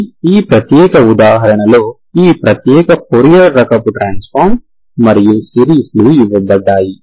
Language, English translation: Telugu, This, for this particular example, this particular fourier type of transform and series, okay